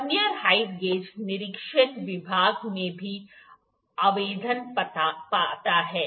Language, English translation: Hindi, Vernier height gauges finds applications in inspection department as well